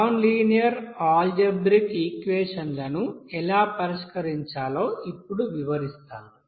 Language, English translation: Telugu, Now in this case we will describe how to solve the nonlinear algebraic equations, there will be a set of nonlinear algebraic equations